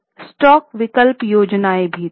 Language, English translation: Hindi, There were stock options schemes